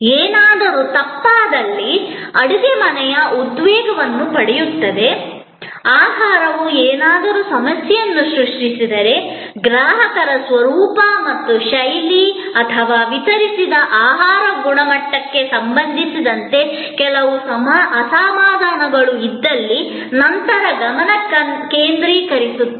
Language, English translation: Kannada, The kitchen gets a tension if there is something that goes wrong, if the food creates some problem, if there is some dissatisfaction of the customer with respect to the nature and the style or the quality of the food delivered, then there is a focus on the kitchen